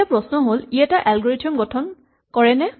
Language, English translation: Assamese, Now question is does this constitute an algorithm